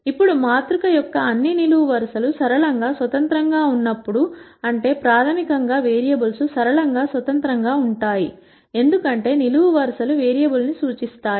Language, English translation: Telugu, Now when all the columns of the matrix are linearly independent that basi cally means the variables are linearly independent, because columns represent variable